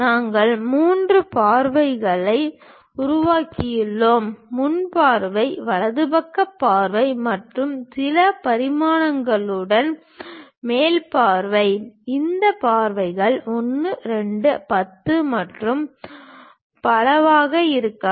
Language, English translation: Tamil, We have given three views, the front view, the right side view and the top view with certain dimensions these dimensions can be 1, 2, 10 and so on